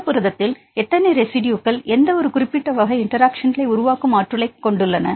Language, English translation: Tamil, How many residues in a protein which have the potential to form any specific type of interactions